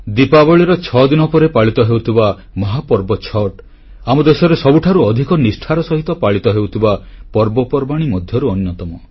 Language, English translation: Odia, The mega festival of Chatth, celebrated 6 days after Diwali, is one of those festivals which are celebrated in accordance with strict rituals & regimen